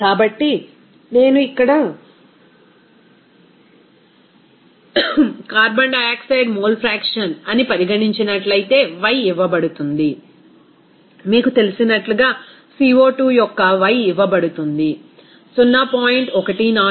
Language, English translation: Telugu, So, if I consider that carbon dioxide, mole fraction here, y is given, Y of CO2 is given as you know that 0